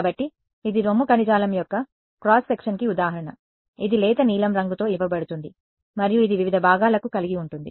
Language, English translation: Telugu, So, this is an example just sort of cooked up example of a cross section of let us say breast tissue, which is given by light blue and it has various components ok